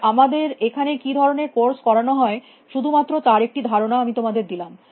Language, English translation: Bengali, And I just want to give you some idea of the kind of courses that we offer